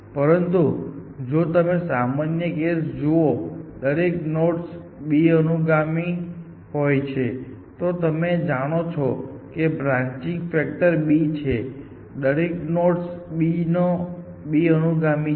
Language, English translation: Gujarati, But, if you look at a general case, were every node has b successors, you know branching factor is b, every node as b successors